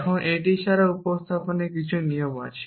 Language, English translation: Bengali, Now, in addition to this there are also some rules of substitution